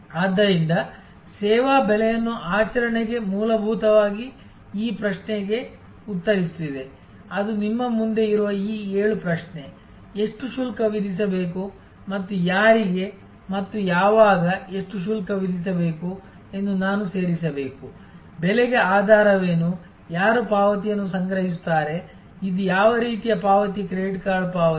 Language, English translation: Kannada, So, putting service pricing into practice is fundamentally answering this question, which are in front of you this seven question, how much to charge and I think I should add a how much to charge whom and when, what is the basis for pricing, who will be collecting the payment, what kind of payment is it credit card payment